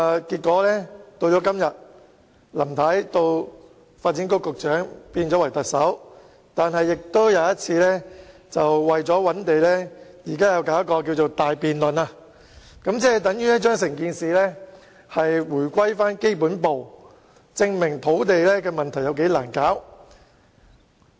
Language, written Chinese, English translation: Cantonese, 現在林太已由發展局局長變為特首，但仍要為了尋找土地而展開一項大辯論，這就等於把整件事回歸基本步，說明土地供應問題是多難處理。, Today Mrs LAM has become the Chief Executive yet she still needs to launch a big debate on land search which is tantamount to starting over the entire campaign afresh . This aptly illustrates how challenging the land supply problem is